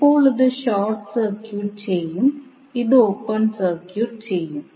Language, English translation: Malayalam, So now this will be short circuited, this will be open circuited